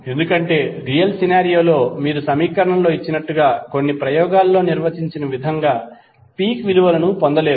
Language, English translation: Telugu, Because in real scenario you will never get peak values as given in the equation or as defined in some experiment